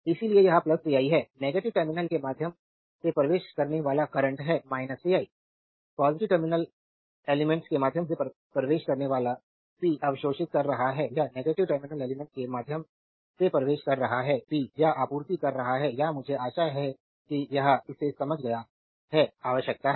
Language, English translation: Hindi, So, it is plus vi, current entering through the negative terminal it is minus vi current entering through the positive terminal element is absorbing power, current entering through the negative terminal element is supplying or delivering power, I hope you have understood this right this is require right